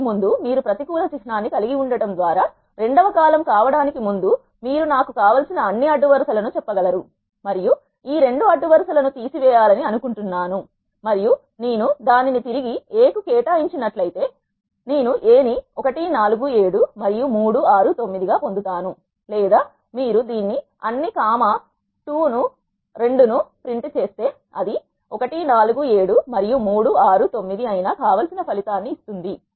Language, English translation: Telugu, So, now what I have to do is it is like eliminating this column from the matrix you can do so by having a negative symbol before this is the second column you can say all the rows I want and I want to take this second column off and if I assign it back to A, I will get A as 1 4 7 and 3 6 9 or if you just print this a of all comma minus 2 it will give the desired result which is 1 4 7 and 3 6 9